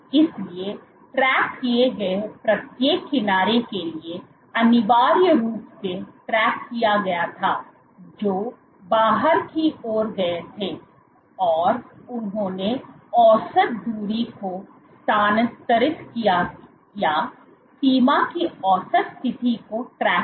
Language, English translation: Hindi, So, what the tracked was essentially for each edge which tracked moved outwards they tracked the average distance moved or average position of the border